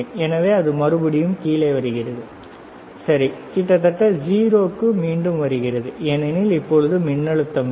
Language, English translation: Tamil, So, it is coming down, right; comes back to almost 0, because now there is no voltage